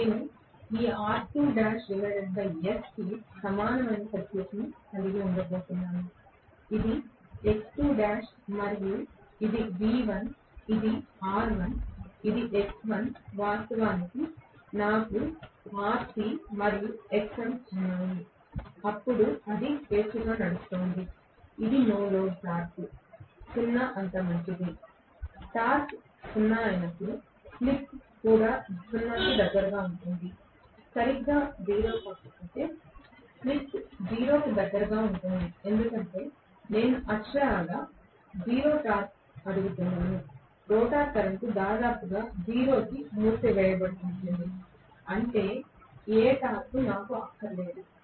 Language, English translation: Telugu, I am going to have rather equivalent circuit this R2 dash by S, this is X2 dash and this is V1 this is R1 this is X1, of course, I do have Rc and Xm, then it is running freely it is as good as no load the torque is 0, when the torque is 0, the slip will also be close to 0, if not exactly 0, slip will be close to 0 because I am asking for literally 0 torque, I do not want any torque that means the rotor current will be almost closed to 0